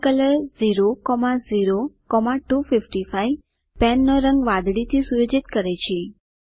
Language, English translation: Gujarati, pencolor 0,0,255 sets the color of pen to blue